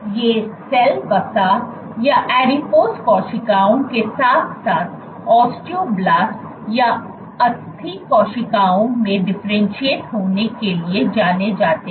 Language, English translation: Hindi, These guys are known to differentiate into adipose or fat cells as well as osteoblast or bone cells